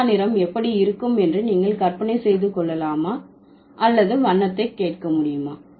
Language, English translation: Tamil, Do you think by hearing the word purple, you can imagine how the color would look like or you can hear the color, not really you can do that